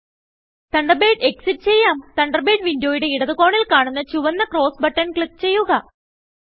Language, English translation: Malayalam, Lets exit Thunderbird, by clicking on the red cross in the left corner of the Thunderbird window